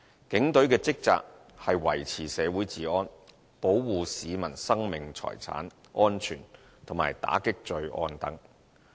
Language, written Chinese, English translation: Cantonese, 警隊的職責是維持社會治安，保護市民生命財產安全，以及打擊罪案等。, The Police have the responsibilities to maintain law and order in society protect the lives and properties of the public combat crimes and so on